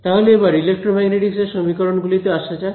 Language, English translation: Bengali, Then let us come to the equations of electromagnetics